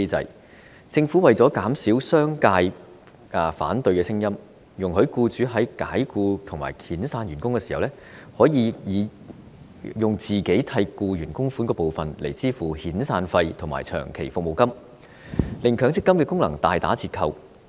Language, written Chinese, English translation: Cantonese, 當初政府為了減少商界的反對聲音，容許僱主在解僱或遣散員工時，以僱主為僱員供款的部分用作抵銷遣散費和長期服務金，令強積金的功能大打折扣。, At the outset in order to reduce the opposition voices from the business sector the Government permitted employers to use part of their contributions to offset the severance and long service payments when they dismissed or laid off employees thus significantly reducing the effectiveness of MPF